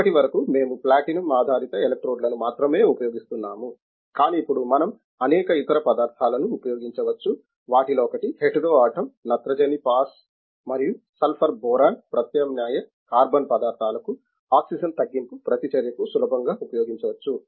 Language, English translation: Telugu, Up to now we have been using only platinum based electrodes, but now we can use many other materials one of them is hetero atom nitrogen pass plus sulphur boron substituted carbon materials can be easily used for the oxygen reduction reaction